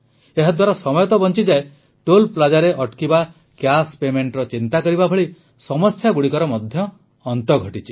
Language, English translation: Odia, This saves not just travel time ; problems like stopping at Toll Plaza, worrying about cash payment are also over